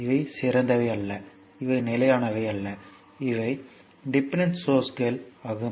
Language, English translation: Tamil, So, these are not ideal these are not constant these are dependent sources